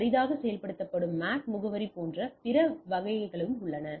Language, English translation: Tamil, And there are other types like MAC address rarely implemented today